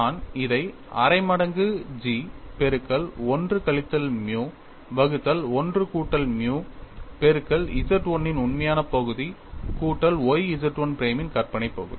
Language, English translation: Tamil, So, what you have here is dou u by dou x equal to 1 by 2 times G of 1 minus nu divide by 1 plus nu multiplied by real part of Z 1 minus y imaginary part of Z 1 prime